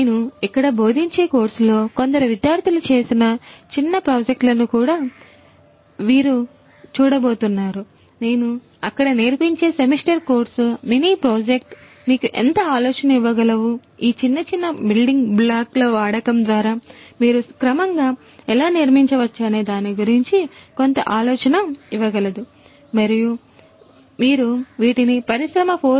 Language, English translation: Telugu, You are also going to look at some of the student projects some of the students mini projects that they have done in the course that I teach over here, the semester course that I have that I teach over there some of these mini project can give you some idea about how you can gradually build up through the use of these small small building blocks how you can gradually build up and transform some given industry as a prescription how you can transform them towards industry 4